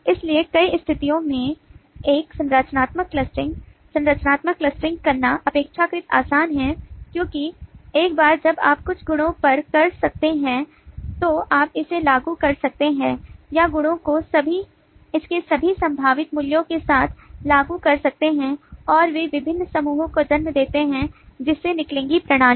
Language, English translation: Hindi, it is relatively easy to do structural clustering because once you can (()), (10:47) on some property, then you can apply it, or apply the property with its all possible values, and they lead to the different clusters that will emerge from the system